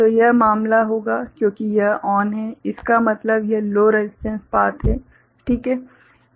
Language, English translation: Hindi, So, that will be the case because this is ON means this is a low resistance path, right